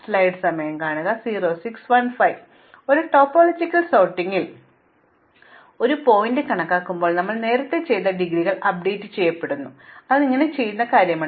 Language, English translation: Malayalam, Now, when we enumerate a vertex in topological sort what we did earlier was to update the indegrees, so this is something that we already did